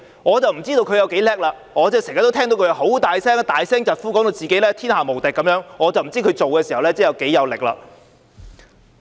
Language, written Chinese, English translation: Cantonese, 我不知道他有多了不起，我經常聽到他大聲疾呼，把自己說得天下無敵，但我不知道他做事時有多少力度。, I have no idea how smart he is . I often hear him shout and yell vociferously and he has described himself as if he is invincible but I wonder how hard he works when he goes about things